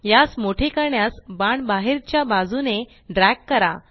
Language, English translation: Marathi, To enlarge it, drag the arrow outward